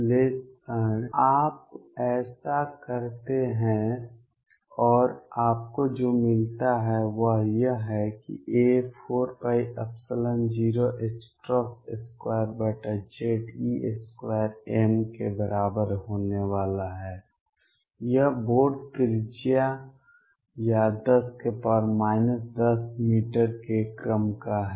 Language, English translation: Hindi, Analysis you do that and what you get is that a is going to be equal to 4 pi epsilon 0 h cross square over z e square m this is of the order of Bohr radius or 10 raise to minus 10 meters